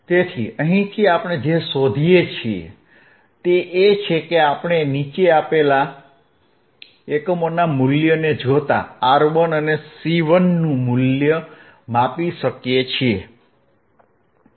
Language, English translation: Gujarati, So, from here what we find is that we can measure the value of R 11, and we can measure the value of R and C 1, ggiven this following this following units values, alright